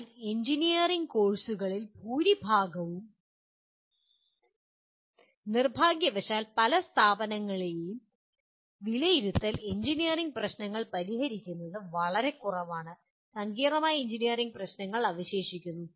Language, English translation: Malayalam, But majority of the engineering courses may address this outcome but unfortunately assessment in many institutions fall far short of solving engineering problems leave alone complex engineering problems